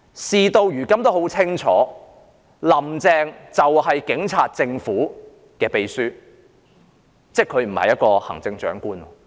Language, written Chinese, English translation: Cantonese, 事到如今大家都很清楚，"林鄭"就是警察政府的秘書，即她不是行政長官。, Now that things have become crystal clear to all and that is Carrie LAM is actually the secretary of the Police Government meaning that she is no longer the Chief Executive